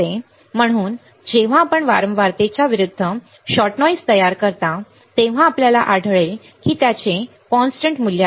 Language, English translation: Marathi, So, when you plot a shot noise against frequency you will find it has a constant value ok